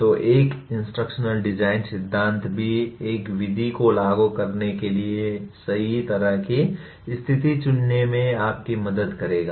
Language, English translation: Hindi, So an instructional design theory will also kind of help you in choosing the right kind of situation for applying a method